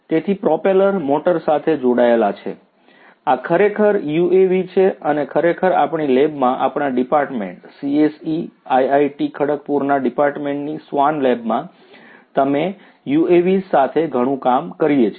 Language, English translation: Gujarati, So, the propeller is connected to a motor, this is actually UAV we actually in our lab the swarm lab in our Department CSE, Department at IIT Kharagpur we do a lot of work with UAVs